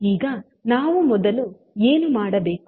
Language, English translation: Kannada, Now, what we have to do first